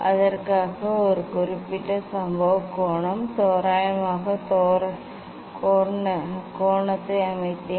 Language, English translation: Tamil, I set a particular incident angle approximate angle for that